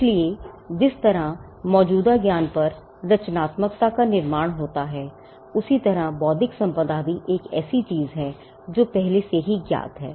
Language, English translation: Hindi, So, just how creativity comprises of building on existing knowledge, so also intellectual property is something which is build on what is already known